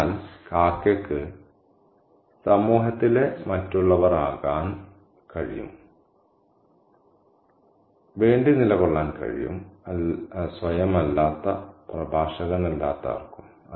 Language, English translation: Malayalam, So, and the crow can stand for any, any other in the society, anybody who is not the self, who is not the speaker